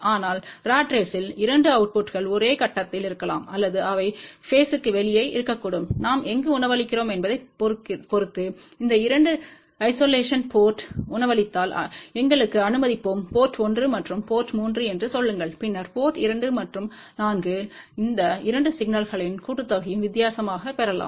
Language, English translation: Tamil, But in case of a ratrace the 2 outputs can be in the same phase or they can be out of phase depending upon where we are feeding it, and also if we feed at those 2 isolated ports let us say port 1 and port 3, then at port 2 and 4 we can get sum and difference of those 2 signal